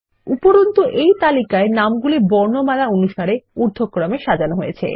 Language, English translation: Bengali, Also, we see that, this list is arranged alphabetically in ascending order